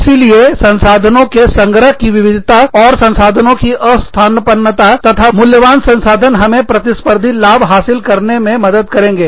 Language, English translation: Hindi, So, diverse pool of resources, and non substitutable resources, and very valuable resources, will help us, gain a competitive advantage